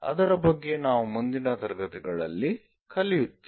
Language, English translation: Kannada, We will learn more about that in the later classes